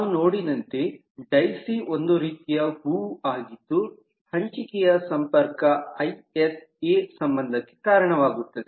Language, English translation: Kannada, so daisy is a kind of flower we saw is a sharing connection which leads to isa relationship